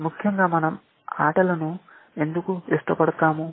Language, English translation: Telugu, Essentially why do we like games